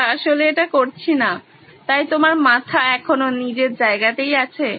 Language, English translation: Bengali, We are not actually doing this, so your heads still remains in place